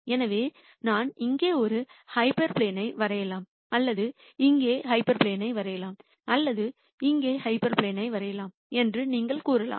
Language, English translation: Tamil, So, you could say I could draw a hyperplane here or I could draw hyperplane here or I could draw a hyperplane here and so on